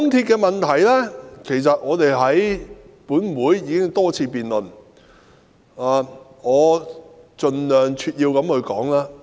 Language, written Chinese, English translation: Cantonese, 港鐵公司的問題本會已多次辯論，我會盡量扼要地闡述。, The problems concerning MTRCL have been debated many times in this Council already . I will speak as concisely as possible